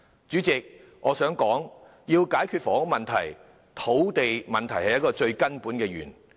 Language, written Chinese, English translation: Cantonese, 主席，我想指出要解決房屋問題，土地問題是最根本的源頭。, President I wish to point out that the ultimate solution to the housing problem is land supply